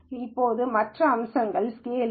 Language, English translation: Tamil, Now the other aspect is scaling